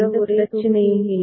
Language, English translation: Tamil, So, then there is no issue